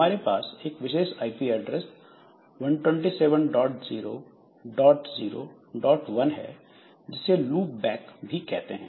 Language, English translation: Hindi, So, we have got special IP address 127001 which is loop back